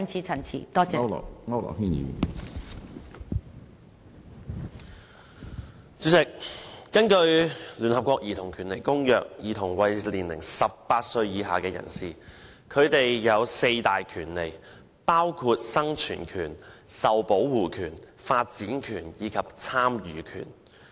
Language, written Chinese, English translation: Cantonese, 主席，根據聯合國《兒童權利公約》，兒童為年齡18歲以下人士，他們有四大權利，包括生存權、受保護權、發展權和參與權。, President under the United Nations Convention on the Rights of the Child a child means every human being below the age of 18 years . Children are entitled to the rights to survival development protection and participation